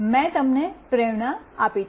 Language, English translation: Gujarati, I have given you the motivation